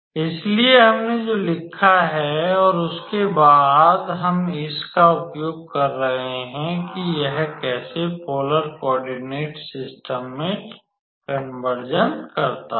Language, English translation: Hindi, So, that is what we have written and then, we are just using this how does a conversion into a polar coordinate system